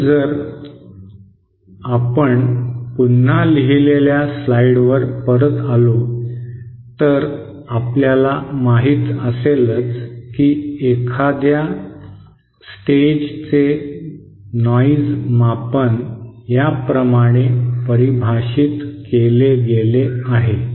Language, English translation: Marathi, So if we come back to the slides on the written slides you know just like so noise measure of a stage is defined like this